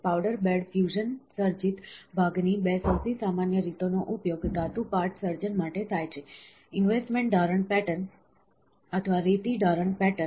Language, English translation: Gujarati, The two most common ways of powder bed fusion created part are utilised as pattern for a metal part creation are, as investment casting patterns or a sand casting patterns